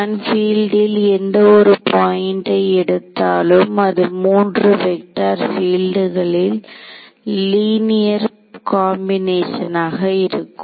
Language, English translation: Tamil, So, I am writing the field at any point as a linear combination of these 3 vector fields